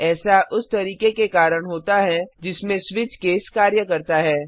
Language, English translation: Hindi, because of the way switch case works